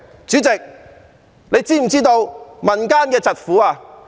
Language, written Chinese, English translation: Cantonese, 主席，你是否知道民間疾苦？, President are you aware of peoples plight?